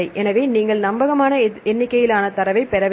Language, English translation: Tamil, So, you have to get reliable number of data